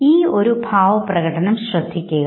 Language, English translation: Malayalam, Now look at this very expression